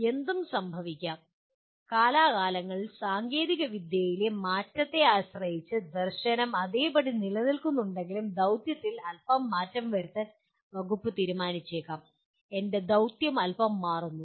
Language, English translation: Malayalam, What may happen, from time to time depending on the change in technology, the department may choose to slightly alter the mission even though the vision remains the same, my mission gets altered a little bit